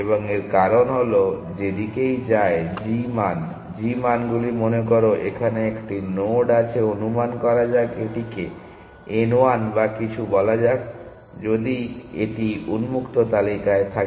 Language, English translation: Bengali, And the reason for that is that whichever direction it goes, the g values, think of the g values supposing there is a node here let us call it n 1 or something if that is on the open list